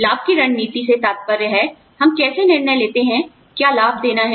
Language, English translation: Hindi, Benefits strategy refers to, how we decide on, what benefits to give